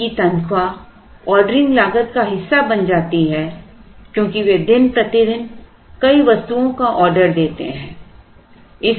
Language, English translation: Hindi, And they become part of the ordering cost because they order several items day by day